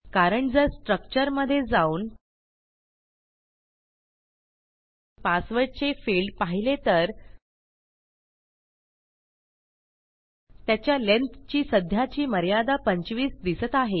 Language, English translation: Marathi, Thats because if we go to our structure and go down to our password field here and edit this, we have currently got a length of 25 as its limit